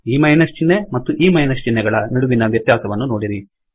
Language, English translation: Kannada, See what happens, see the difference between this minus sign and this minus sign